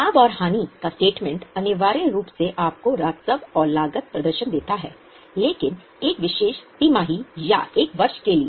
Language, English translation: Hindi, The profit and loss statement essentially gives you revenues and cost performance but for a particular quarter or a year